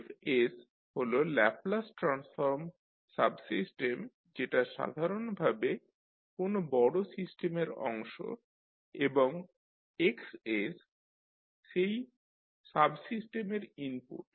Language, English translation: Bengali, So Fs is the Laplace transform subsystem that is basically the part of a larger system and Xs is the input for that subsystem